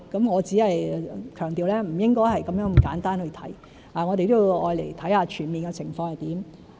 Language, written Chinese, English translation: Cantonese, 我想強調不應該這麼簡單地去看，我們都要看看全面的情況是怎樣。, I want to stress that we should not look at the situation in such a simple manner for we have to look at the full picture